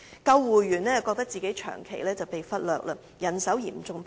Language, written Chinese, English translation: Cantonese, 救護員則感到長期被忽略，人手嚴重不足。, Ambulancemen feel that their needs have long been neglected and there is a serious shortage of manpower too